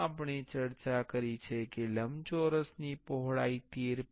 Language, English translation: Gujarati, As we discussed the width of the rectangle was 13